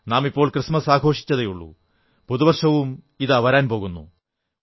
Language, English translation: Malayalam, All of us have just celebrated Christmas and the New Year is on its way